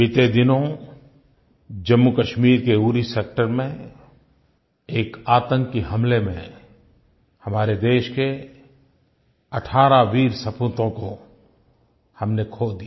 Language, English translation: Hindi, We recently lost 18 brave sons of our country in a terrorist attack in Uri Sector in Jammu and Kashmir